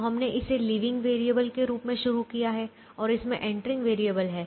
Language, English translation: Hindi, so to begin with we started with this as the living variable and then this has the entering variable